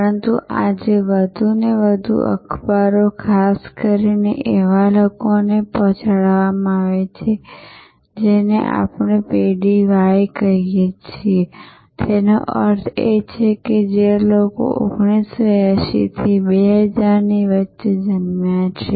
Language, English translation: Gujarati, But, today more and more newspapers are delivered particularly to the people we call generation y; that means, people who have been, people who are born between 1980 to 2000